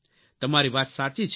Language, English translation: Gujarati, What you say is right